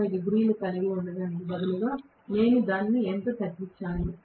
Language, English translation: Telugu, Instead of having 180 degrees, how much I have shortened it